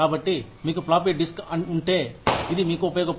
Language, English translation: Telugu, So, if you have a floppy disk, it is of no use to you